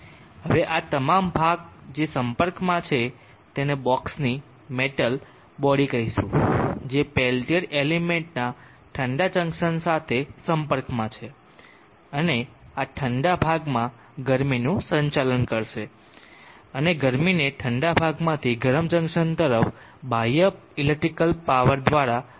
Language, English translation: Gujarati, Now all this portion which is in contact call this metal body of the box which is in contact with the cold junction of the peltier element will conduct the heat into this cold portion and the heat from the cold portion into the hot junction will be pumped by means of this electric power that we are giving to this peltier element